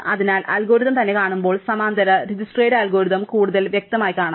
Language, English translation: Malayalam, So, when see the algorithm itself, we will see the parallel Dijkstra's algorithm even clearer